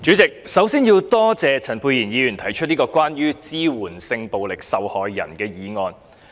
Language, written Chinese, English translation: Cantonese, 主席，首先很感謝陳沛然議員提出有關支援性暴力受害人的議案。, President I would first of all like to thank Dr Pierre CHAN for moving this motion on providing support for sexual violence victims